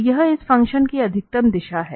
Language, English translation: Hindi, So, this is the direction of maximum increase of this function